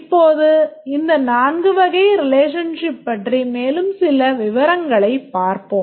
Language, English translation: Tamil, Now let's see these four types of relationship in some detail